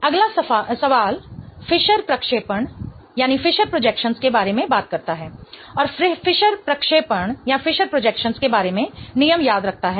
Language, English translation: Hindi, The next question talks about Fisher projections and remember the rule about Fisher projections